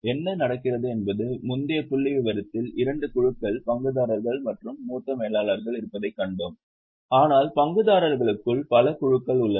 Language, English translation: Tamil, What happens is in the earlier figure we have seen that there are two groups, shareholders and senior managers, but within shareholders also there are many groups